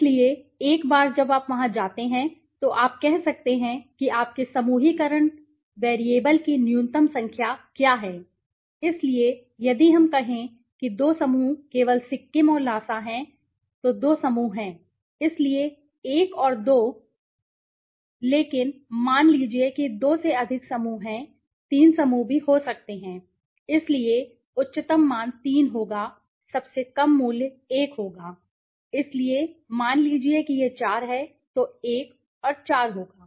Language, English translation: Hindi, So, once you go there you can say what the minimum number of you know your grouping variable, so in case let us say there are two groups to be formed only Sikkim and Lhasa so to two groups right, so 1 and 2 but suppose there are more than two groups there could be three groups also, so the highest value would be 3 the lowest value would be 1 right, so that would differ suppose it is 4 then 1 and 4